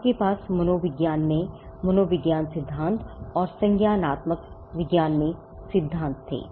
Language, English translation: Hindi, They were various theories on creativity you had psychology theories in psychology and theories in cognitive science as well